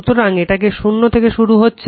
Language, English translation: Bengali, So, this is starting from here 0